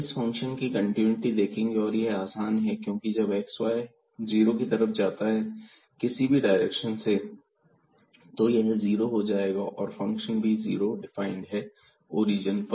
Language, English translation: Hindi, So, the continuity of this function is again simple because when x y go goes to 0 0 from any direction this will go to 0 and the function is also defined as 0 at the origin